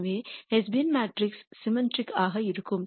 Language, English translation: Tamil, So, the hessian matrix is going to be symmetric